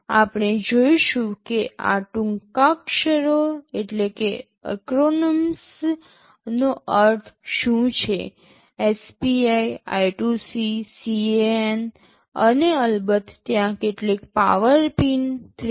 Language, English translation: Gujarati, We shall be seeing what these acronyms mean SPI, I2C, CAN and of course, there are some power pins 3